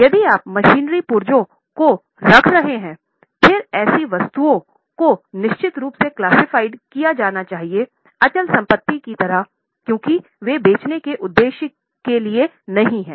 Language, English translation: Hindi, However, if you are keeping machinery spares, then such items should be classified as fixed assets because they are not into for the purpose of selling